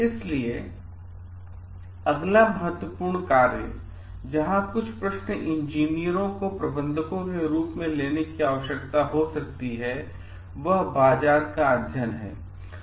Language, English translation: Hindi, So, next important function where some questions the engineers as managers may need to tackle is market study